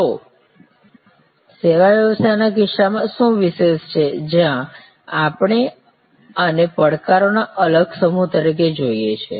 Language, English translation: Gujarati, So, what is so special in case of service business, where we see this as a unique set of challenges